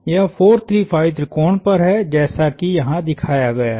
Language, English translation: Hindi, This is on a 4, 3, 5 triangle as shown here